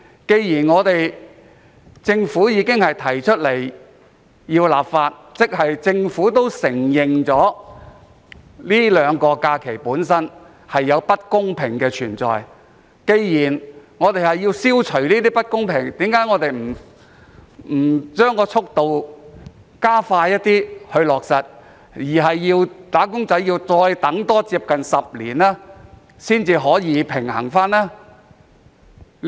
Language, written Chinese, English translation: Cantonese, 既然政府已準備好立法，即政府承認兩套不同的假期存在不公平，並有需要消除不公平的情況，為何不加快落實速度，要"打工仔"再多等近10年呢？, The Governments move to enact legislation means that it realizes the unfairness between the two different sets of holidays and such unfairness should be eliminated then why does it not speed up the implementation but requires the wage earners to wait for nearly 10 years more?